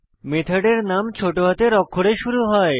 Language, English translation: Bengali, Method name should begin with a lowercase letter